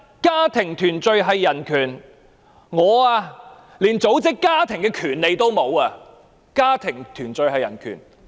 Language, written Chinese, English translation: Cantonese, 家庭團聚是人權，但我連組織家庭的權利也沒有。, Family reunion is a kind of human right but I do not even have the right to form my own family